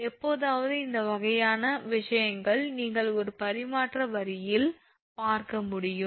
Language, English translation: Tamil, Occasionally you can see this kind of thing in a transmission line